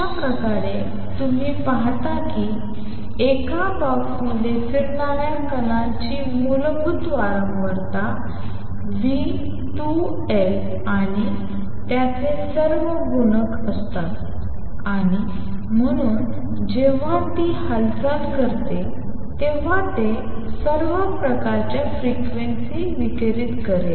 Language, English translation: Marathi, Thus, you see that the particle moving in a box has the fundamental frequency V over 2 L and all its multiples and therefore, when it performs motion, it will radiate all kinds of frequencies